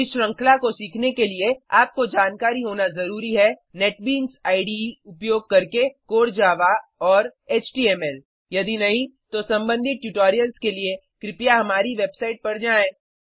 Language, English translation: Hindi, To learn this series, you must have knowledge of Core Java using Netbeans IDE and HTML If not, for relevant tutorials please visit our website